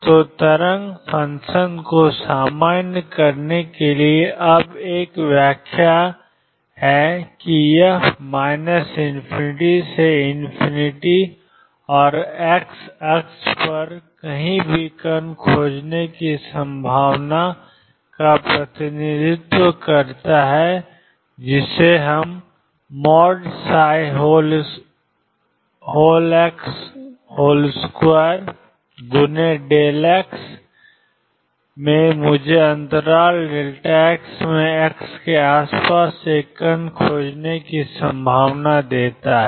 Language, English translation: Hindi, So, normalize wave function, now has an interpretation that this represents the probability of finding particle anywhere between minus infinity and infinity on the x axis and psi square x delta x gives me the probability of finding a particle in the interval delta x around x